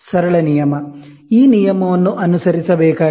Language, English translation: Kannada, A simple rule, this rule has to be followed